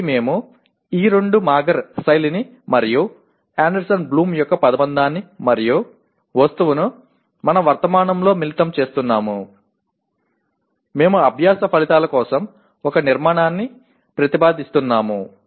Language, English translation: Telugu, So we are combining these two Mager style and the phrase and object of Anderson Bloom into our present, we are proposing a structure for the learning outcomes